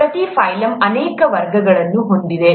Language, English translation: Kannada, Each phylum has many classes